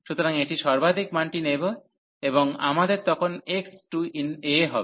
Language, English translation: Bengali, So, it will take the highest value, and we have then x will approach to this a